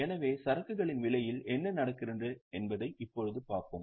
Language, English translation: Tamil, So, now we will look at what goes into the cost of inventory